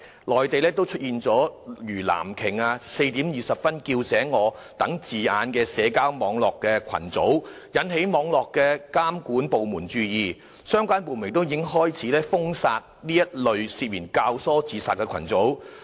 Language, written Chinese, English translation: Cantonese, 內地亦出現了如"藍鯨 "，"4:20 叫醒我"等字眼的社交網絡群組，引起網絡監管部門注意，相關部門亦開始封殺這一類涉嫌教唆自殺群組。, On the Mainland the emergence of online social groups which call themselves Blue Whale or Wake me up at 4col20 has aroused attention of the cyber monitoring department and relevant departments have started to wipe out this kind of social groups for suspected abetting of suicide